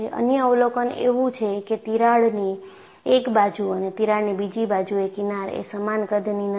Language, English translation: Gujarati, Another observation is, the fringes, which are seen on one side of the crack and another side of the crack are not of same size